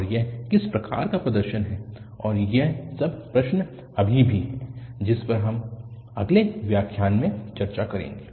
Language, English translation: Hindi, And, what kind of representation and all that question is still open that we will discuss in next lectures